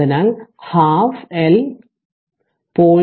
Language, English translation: Malayalam, So, it is 0